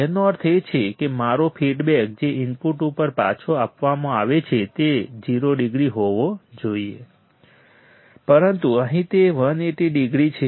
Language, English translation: Gujarati, That means, my feedback that is provided back to the input should be 0 degree, but here it is 180 degrees